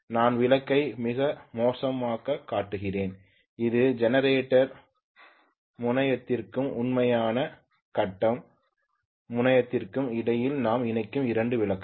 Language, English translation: Tamil, I am showing the lamp pretty badly, this is 2 lamps we connect in between the generator terminal and the actual, the grid terminal